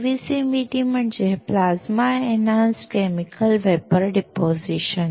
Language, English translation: Marathi, PECVD is Plasma Enhanced Chemical Vapor Deposition